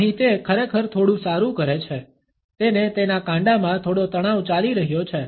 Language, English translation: Gujarati, Here he actually does a little bit better he is got some tension going on in his wrist